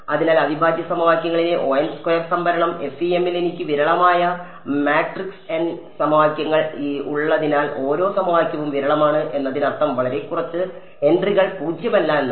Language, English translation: Malayalam, So, storage in integral equations was order n squared whereas, in FEM because I have a sparse matrix n equations each equation is sparse means very few entries are non zero